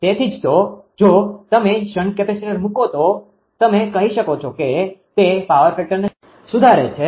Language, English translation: Gujarati, So, that is why if you put shunt capacitor that your what you call that it improves the power factor